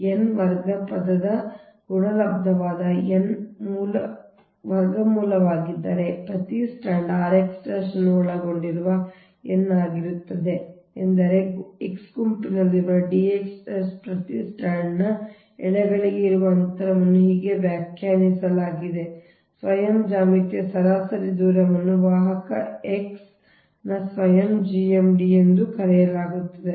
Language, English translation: Kannada, so if this is n square root of the product of n square term, right, because it will be n into n right, consisting of r x dash of every stand time, the distance from each strand to all other strands within group x, the d s x is defined as the self geometric mean distance